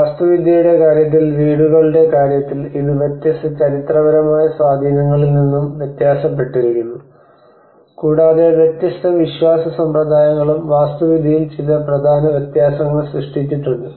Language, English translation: Malayalam, In terms of the houses in terms of the architecture it also varies from different historical influences, and different belief systems have also made some significant differences in the architecture